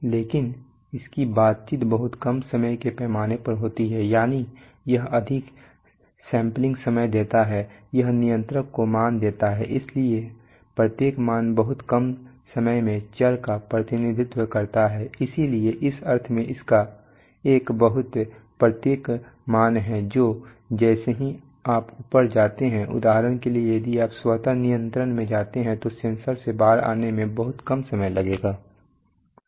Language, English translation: Hindi, Similar, but its interaction is over a very small time scale that is, it gives over sampling times it gives values to the controller, so each value represents the variable over a very short time so in that sense it has a very, each value which comes out from the sensor has a very short time scale now as you go up for example if you go to automatic control